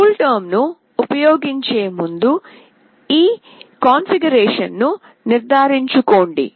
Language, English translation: Telugu, Make sure to do this configuration prior to using CoolTerm